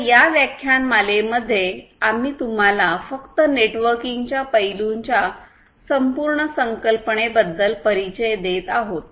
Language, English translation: Marathi, So, here in this lecture we are simply introducing you about the overall concept of the networking aspects